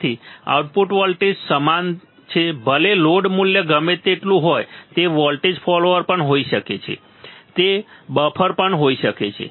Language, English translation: Gujarati, So, the output voltage is same no matter what is the load value it can be also a voltage follower it can be also a buffer and also a buffer